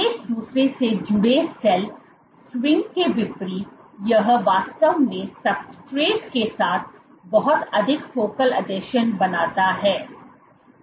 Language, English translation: Hindi, So, in contrast to sell swing attached to each other this guy actually forms lot more focal adhesions with the substrate